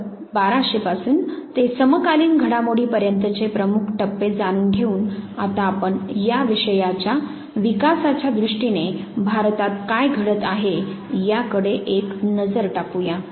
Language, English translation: Marathi, So, having known the major mile stones, covering right from 1200 to the contemporary developments let us now have a very quick look at what was taking place in India in terms of the development of this very subject